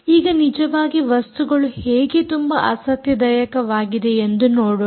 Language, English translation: Kannada, now let us see how very interesting things can actually happen